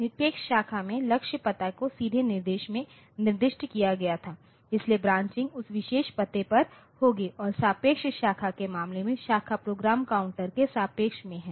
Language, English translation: Hindi, So, in absolute branch so, the target address was specified directly, so, the branching was to that particular address and the relative branch it is with respect to the program counter